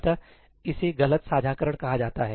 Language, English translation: Hindi, this is something called ‘false sharing’